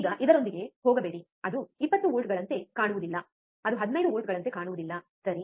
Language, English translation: Kannada, Now do not do not go with this that it does not look like 20 volts, it does not look like 15 volts, right